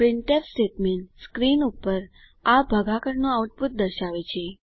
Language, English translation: Gujarati, The printf statement displays the division output on the screen